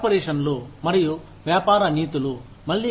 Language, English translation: Telugu, Corporations and business ethics, again